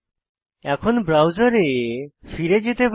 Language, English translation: Bengali, So, we can go back to the browser